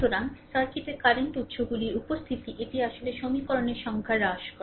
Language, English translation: Bengali, So, presence of current sources in the circuit, it reduces actually the number of equations